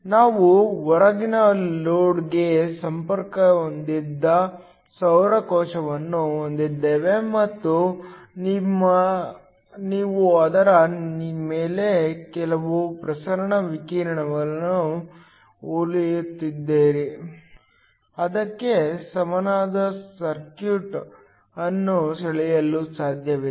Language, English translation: Kannada, We have a solar cell connected to an external load and you have some incident radiation shining on it so it is possible to draw an equivalent circuit for that